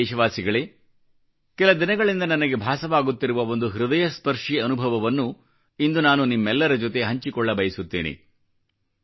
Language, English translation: Kannada, My dear countrymen, today I wish to narrate a heart rending experience with you which I've beenwanting to do past few days